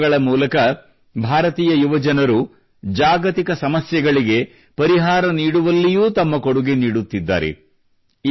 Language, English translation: Kannada, Indian youth are also contributing to the solution of global problems through startups